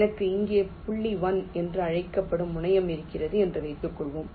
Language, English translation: Tamil, suppose i have a terminal called point one here, i have terminal point connecting one here and also there is a one here